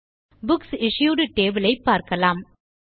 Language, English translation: Tamil, Let us look at the Books Issued table